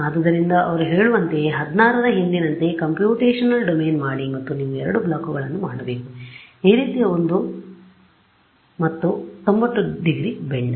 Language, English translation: Kannada, Now same thing they say make the computational domain as before 16, 16 and you have to make two blocks; one like this and the one the 90 degree bend